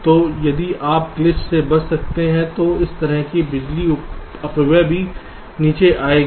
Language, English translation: Hindi, so if you can avoid glitch, this kind of power dissipation will also go down